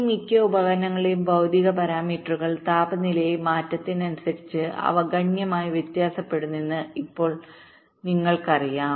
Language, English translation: Malayalam, now you know that the physical parameters of this most devices they very quit significantly with changes in temperature